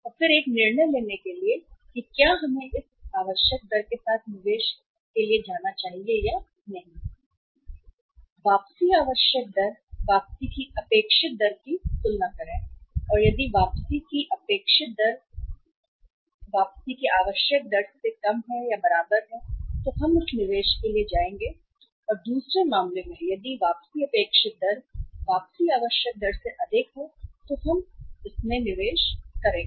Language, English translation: Hindi, And then for taking a decision whether we should go for this investment or not we should compare the expected rate of return with the required rate of return with the required rate of return and if expected rate of return is at least equal to the required rate of return, we will go for this investment or in the other case if the expected rate of return is more than the required rate of return we will go for this investment